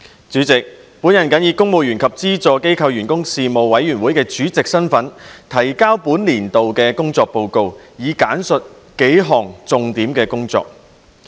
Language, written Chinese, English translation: Cantonese, 主席，本人謹以公務員及資助機構員工事務委員會主席身份，提交本年度的工作報告，並簡述數項重點工作。, President in my capacity as Chairman of the Panel on Public Service here I submit the work report of this year and highlight the work of the Panel in several key areas